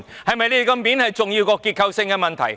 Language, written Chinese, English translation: Cantonese, 他們的面子，是否重要過結構性問題？, Does their face matter more than the structural problems?